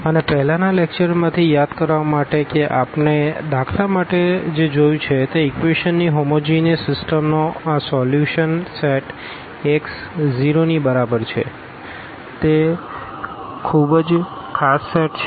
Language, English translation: Gujarati, And, just to recall from the previous lecture what we have seen for instance this solution set of the homogeneous system of equations Ax is equal to 0, that is a very special set